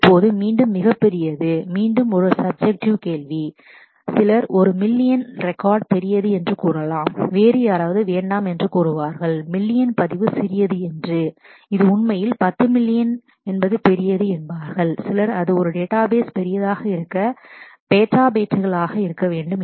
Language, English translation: Tamil, Now again what is a very very large is again a subjective question, some you can say that a million record is large, someone else would say no million record is small, it is actually 10 million is large; some might say that it is a database need to be petabytes to be large and so on